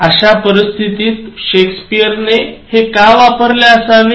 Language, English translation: Marathi, Now, why even Shakespeare is using this